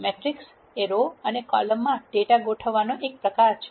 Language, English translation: Gujarati, Matrix is a form of organizing data into rows and columns